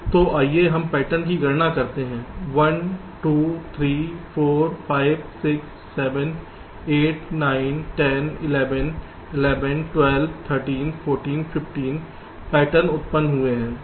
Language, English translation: Hindi, so, ah, lets count the pattern: one, two, three, four, five, six, seven, eight, nine, ten, eleven, twelve, thirteen, fourteen, fifteen patterns have been generated